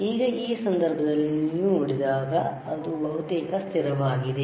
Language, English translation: Kannada, Now in this case, when you see it is almost constant